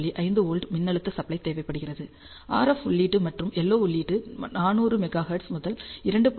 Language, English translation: Tamil, 5 volts, the RF input and LO input are are can be in the range of 400 Megahertz to 2